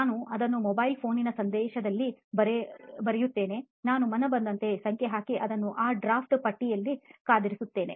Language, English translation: Kannada, I just write it in the message; I put a number, random number and save it in that draft box